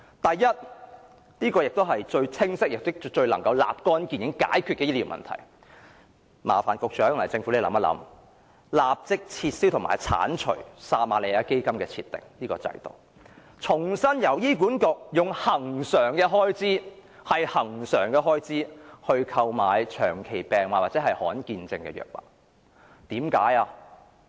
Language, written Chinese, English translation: Cantonese, 首先，最清晰並能立竿見影地解決醫療問題的做法是，麻煩局長及政府當局考慮立即撤銷撤瑪利亞基金制度，重新由醫院管理局利用其恆常開支承擔長期病患或罕見病症患者的藥物支出。, Firstly as a most clear - cut and immediately effective way to resolve our health care problem the Secretary and the Government should consider abolishing the Samaritan Fund at once and resuming the practice for the Hospital Authority HA to meet the drug expenses of patients of chronic or rare diseases with its recurrent funding